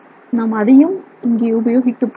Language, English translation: Tamil, So, we are just simply going to use it here